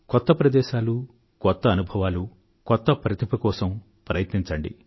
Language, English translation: Telugu, You must try new places, new experiences and new skills